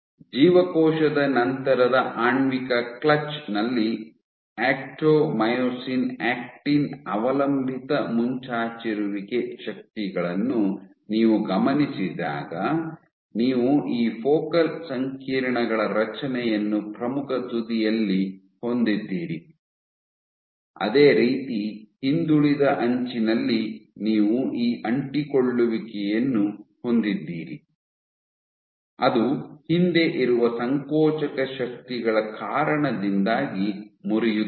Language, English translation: Kannada, As you recall that in the molecular clutch after the cell exerts the actomyosin actin dependent protrusion forces you begin to have the formation of these focal complexes at the leading edge, similarly at the trailing edge you have these adhesions which will break because of contractile forces at the rear